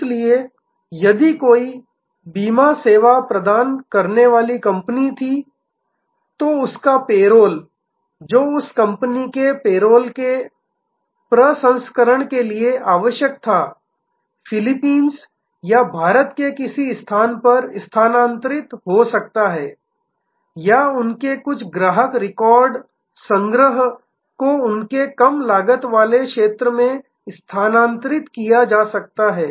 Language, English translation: Hindi, So, if there was a company providing insurance service, their payroll which was needed processing of the payroll of that company could shift to a location in Philippines or India or some of their customer record archiving could be moved to their lower cost area